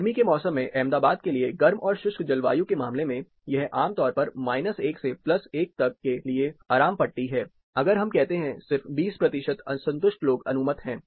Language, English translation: Hindi, (Refer Slide Time: 26:21) In case of Ahmadabad, hot and dry climate, during summer, this is a comfort band minus one to plus one typically, if we say, just 20 percent of people dissatisfied, is permissible